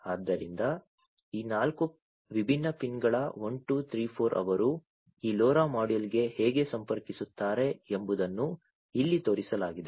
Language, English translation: Kannada, So, these four different PIN’s 1 2 3 4 how they connect to this LoRa module is shown over here, right